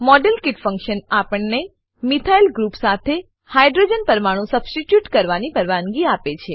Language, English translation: Gujarati, The Modelkit function allows us to substitute a Hydrogen atom with a Methyl group